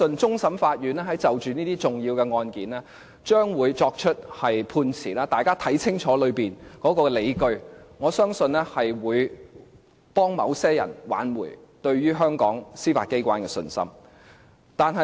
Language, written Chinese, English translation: Cantonese, 終審法院將會就着一些重大的案件作出判詞，請大家看清楚當中的理據，我相信是能挽回某些人對於香港司法機關的信心的。, The Court of Final Appeal will soon hand down verdicts on some important cases so everyone please read carefully the justifications in these verdicts and I believe that these will restore certain peoples confidence in the Judiciary